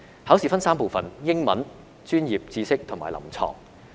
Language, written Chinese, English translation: Cantonese, 考試分3部分，分別是英文、專業知識及臨床。, The examination is divided into three parts namely English professional knowledge and clinical examination